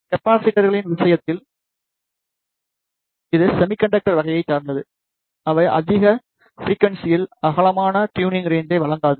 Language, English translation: Tamil, In case of capacitors, that is of semiconductor type, they do not provide the white tuning range at higher frequencies